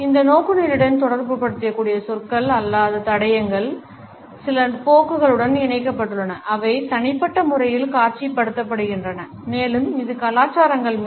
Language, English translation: Tamil, The non verbal clues which can be associated with this orientation are linked with certain tendencies which are exhibited in individual and it over cultures